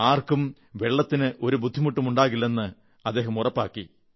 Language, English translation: Malayalam, He ensured that not a single person would face a problem on account of water